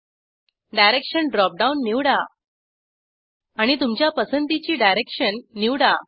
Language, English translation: Marathi, Select Direction drop down and select a direction of your choice